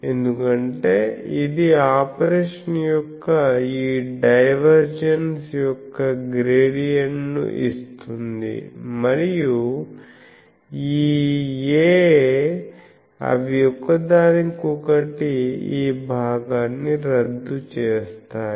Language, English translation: Telugu, Because this gives operation the gradient of this divergence and this A they actually cancel each other this component